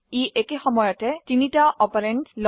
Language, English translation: Assamese, It Takes three operands at a time